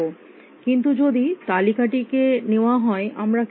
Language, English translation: Bengali, But if treated list how would i do it